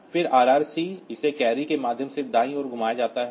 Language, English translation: Hindi, Then RRC, so it is rotate right through carry